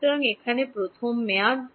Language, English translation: Bengali, So, first term over here